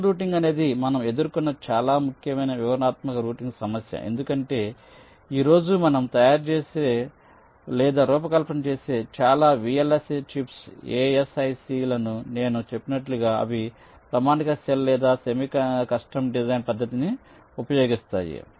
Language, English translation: Telugu, ok, channel routing is the most important kind of detailed routing problem that we encountered because, as i said, most of the chips that we fabricate or design today they use the standard cell or the semi custom design methodology